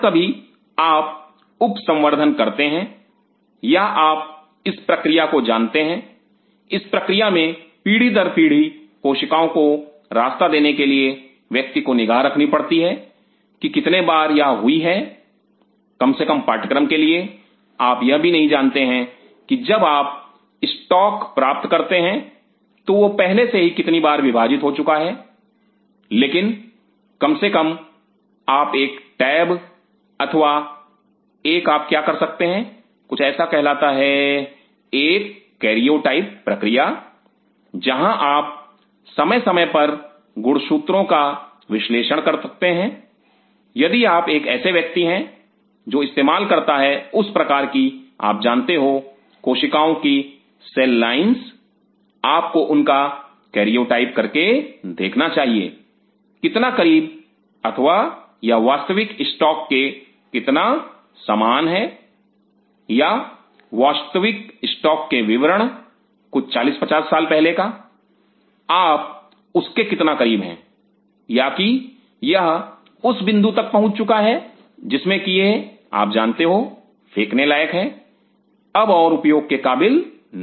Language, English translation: Hindi, Whenever you are sub culturing or you know this process this process for passaging the cells over generations after generations one has to keep track that how many time this is divided at least because of course, you do not even know that when you receive the stock how many times it has already divided before this, but at least you can keep a tab or at an what you one can do is something called a carrier typing process, where you can analyze the chromosomes time to time if you are a person who are using those kind of you know cells cell lines you should carrier type it an see, how close or it is resembling to the original stock or the description the original stock some 40 50 years back how close you are too that or has it reached to a point that in a it has to be you know thrown away it is no more really worth using